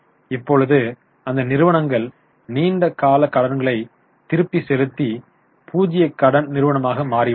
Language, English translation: Tamil, Their long term borrowings they have repaid and have become a zero dead company now